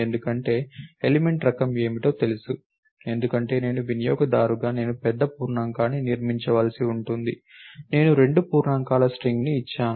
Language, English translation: Telugu, Because, the element type I know what they are, because I as a user I have just to built the big int, I gave a string of two integers